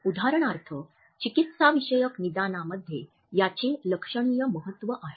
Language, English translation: Marathi, For example, there are significant in clinical diagnosis